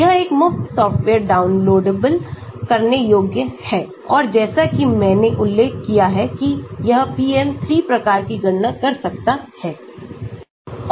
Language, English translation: Hindi, it is a free software downloadable and as I mentioned it can do PM3 type of calculation